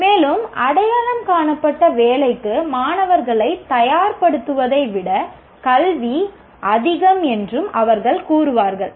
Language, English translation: Tamil, And they will also say education is more than preparing students for identified job